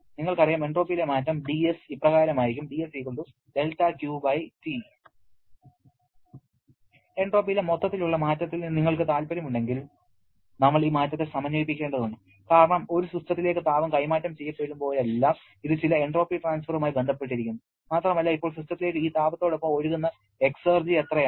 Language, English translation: Malayalam, You know the change in the entropy will be equal to del Q/T and if you are interested in the total change in entropy, then we have to integrate this over the change because whenever heat is being transferred to a system, it also is associated with some entropy transfer and now how much is the exergy that flows into the system with this heat